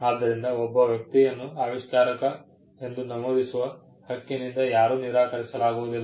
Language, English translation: Kannada, So, nobody can disentitle a person from a person’s right to be mentioned as an inventor